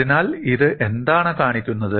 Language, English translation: Malayalam, So, what does this show